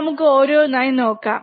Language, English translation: Malayalam, So, let us see one by one, alright